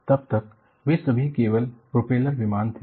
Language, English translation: Hindi, Until then, they were all only propeller planes